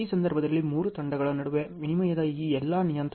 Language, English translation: Kannada, In this case all these parameters which were exchanged between the three teams